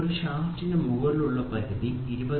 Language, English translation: Malayalam, For a shaft what is the upper limit it is 20